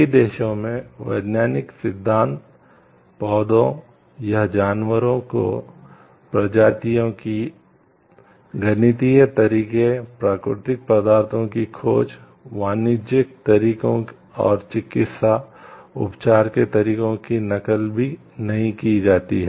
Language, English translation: Hindi, In many countries, scientific theories, mathematical methods, plants animal’s varieties, discoveries of natural substances commercial methods and methods of medical treatment are not generally patentable